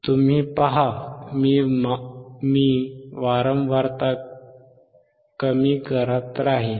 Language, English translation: Marathi, We still keep on decreasing the frequency